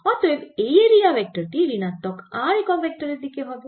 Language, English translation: Bengali, ok, and so therefore the area vector is actually in negative r unit vector direction